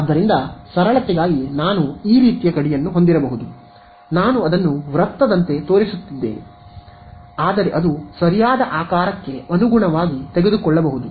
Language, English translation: Kannada, So, I may have like a boundary like this just for simplicity I am showing it like a circle, but it can take conform to the shape of the thing right